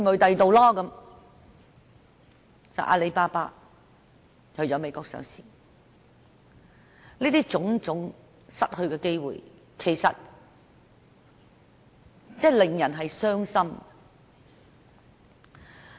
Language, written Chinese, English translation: Cantonese, 結果阿里巴巴在美國上市，這種種失去的機會，的確令人傷心。, So in the end Alibaba was listed in the United States . It is disheartening to see the loss of such opportunities